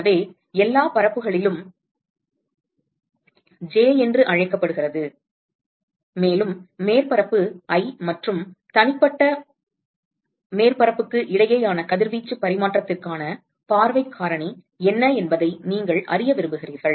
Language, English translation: Tamil, So, over all surfaces let us say called j and you want to know what is the view factor for radiation exchange between surface i and the individual surface